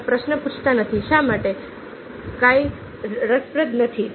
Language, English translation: Gujarati, you are not asking the question: why is the glass not interesting